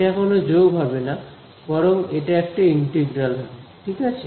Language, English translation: Bengali, It will not be a summation it will be a integral right